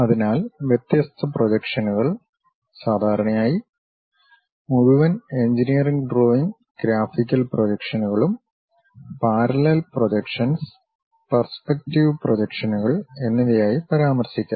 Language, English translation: Malayalam, So, the different projections, typically the entire engineering drawing graphical projections can be mentioned as parallel projections and perspective projections